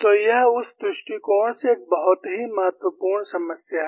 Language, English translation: Hindi, So, it is a very important problem, from that point of view